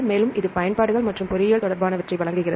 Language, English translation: Tamil, Also, it gives the regarding the applications and engineering